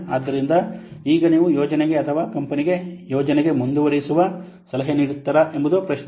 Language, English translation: Kannada, So now the question is, would you advise the project or the company going ahead with the project